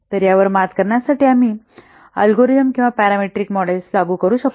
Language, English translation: Marathi, So, in order to overcome this we may apply algorithmic or parametric models